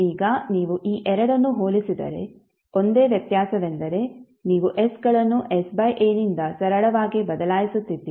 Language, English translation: Kannada, So now if you compare these two, the only difference is that you are simply replacing s by s by a